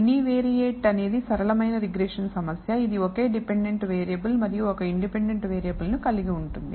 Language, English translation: Telugu, The univariate is the simplest regression problem you can come up across, which consists of only one dependent variable and one independent variable